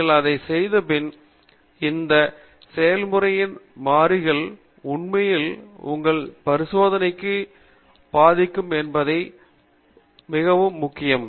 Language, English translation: Tamil, Once you have done these, it’s very important to see which variables in the process are actually influencing your experiment